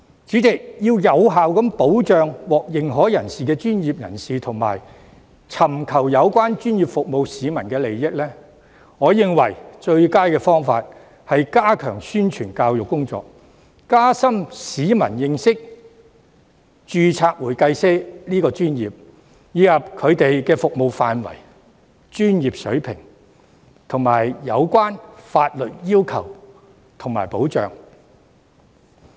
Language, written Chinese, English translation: Cantonese, 主席，要有效保障獲認可專業人士及尋求有關專業服務的市民的利益，我認為最佳方法是加強宣傳教育工作，加深市民對註冊會計師這個專業的認識，以及其服務範圍、專業水平及有關的法律要求和保障。, President in my view in order to effectively protect the interests of certified professionals and members of the public seeking relevant professional services the best way is to step up publicity and education so that people will have a better understanding of the profession of certified public accountants their scope of services professional standards as well as the relevant legal requirements and protection